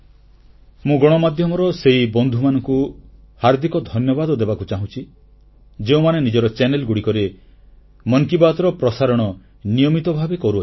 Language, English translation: Odia, I sincerely thank from the core of my heart my friends in the media who regularly telecast Mann Ki Baat on their channels